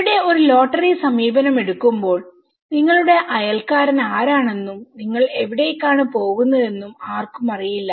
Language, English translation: Malayalam, Here, when they have taken a lottery approaches no one knows who is your neighbour and where you are going